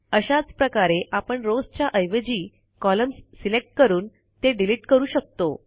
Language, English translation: Marathi, Similarly we can delete columns by selecting columns instead of rows